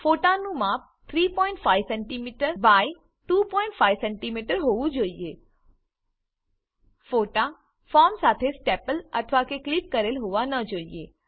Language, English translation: Gujarati, The size of the photo should be 3.5cm x 2.5cm The photos should not be stapled or clipped to the form